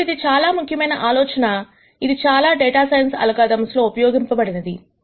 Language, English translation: Telugu, Now this is a very important idea that is used in several data science algorithms